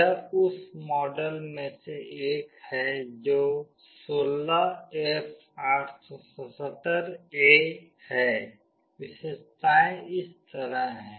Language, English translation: Hindi, This is one of the model which is 16F877A; the feature is like this